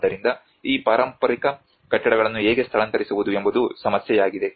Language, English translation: Kannada, So the problem is how to move these heritage buildings